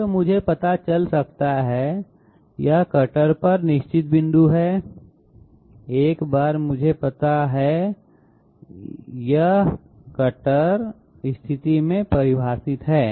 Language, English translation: Hindi, So I can find out, this is a fixed point on the cutter, once I know this is the cutter is you know defined in position